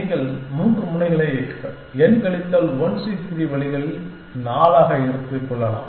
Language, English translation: Tamil, And you can take of three edges in n minus 1 c 3 ways, so into 4